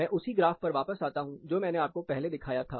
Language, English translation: Hindi, I am coming back to the same graph, which I showed you here